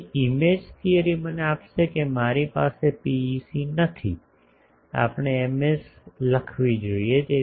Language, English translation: Gujarati, So, image theory will give me that I do not have a PEC, I have sorry we should write Ms